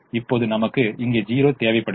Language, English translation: Tamil, now i need a zero here